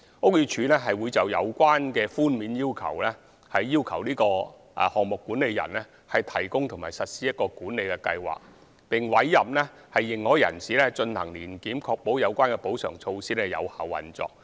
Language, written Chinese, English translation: Cantonese, 屋宇署會就有關寬免，要求項目管理人提供及實施管理計劃，並委任認可人士進行年檢，以確保有關補償措施有效運作。, BD would require the project manager to provide and implement a management plan in relation to the exemptions and appoint an authorized person to conduct an annual inspection to ensure effective operation of the compensatory measures